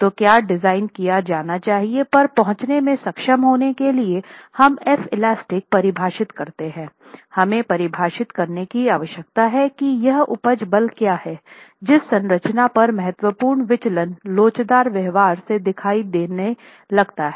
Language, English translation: Hindi, So to be able to arrive at what you should be designing for, once we have defined F , we need to go and define what is this yield force at which the structure starts showing significant deviation from elastic behavior